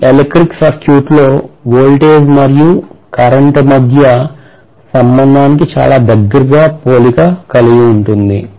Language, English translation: Telugu, It is very similar to the relationship between voltage and current in an electrical circuit